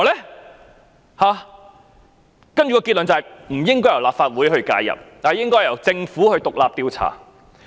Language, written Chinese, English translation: Cantonese, 然後得出的結論是不應由立法會介入，應該由政府進行獨立調查。, Then they came to the conclusion that intervention by the Legislative Council was unnecessary and that an investigation should be carried out by the Government independently